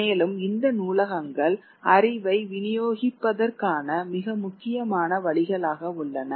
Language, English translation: Tamil, And these libraries become a very important ways of distributing knowledge